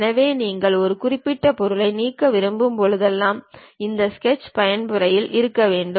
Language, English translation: Tamil, So, whenever you would like to delete one particular object, you have to be on the Sketch mode